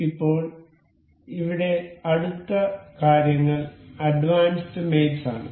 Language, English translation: Malayalam, Now, the next things here is advanced mates